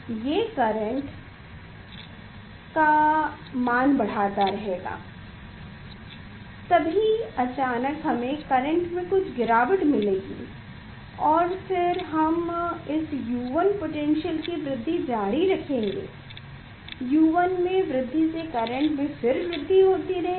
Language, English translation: Hindi, at this U 1 potential suddenly, we see the drop of the current suddenly we will see the drop of the current and then again, we are continuing the increasing of the U 1, then we are continuing the increasing of U 1 and then again current is increasing